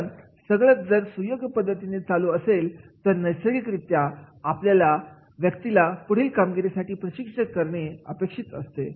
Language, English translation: Marathi, Because if everything goes smooth then naturally it is expected that the person is to be trained for the next job